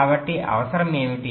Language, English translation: Telugu, so what was the requirement